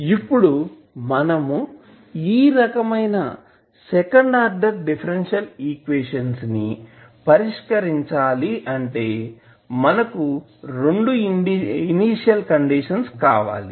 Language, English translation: Telugu, Now, if you are asked to solve such a second order differential equation you require 2 initial conditions